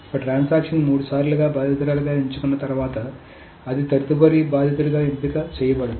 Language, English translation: Telugu, So once a transaction is chosen victim for three times, it will not be chosen as a victim for the next time